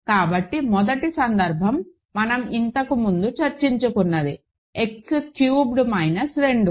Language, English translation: Telugu, So, first case is something that we discussed before, X cubed minus 2